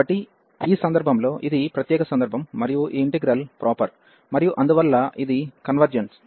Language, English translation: Telugu, So, for this case this is special case and this integral is proper and hence it is convergent